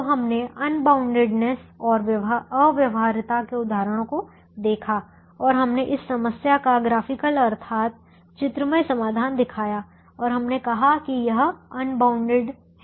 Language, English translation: Hindi, so we looked at examples for unboundedness and infeasibility and we showed the graphical solution to this problem and we said that this is ah, unbounded